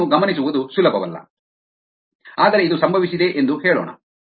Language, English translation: Kannada, its not easy to observe this, but let us say this is happened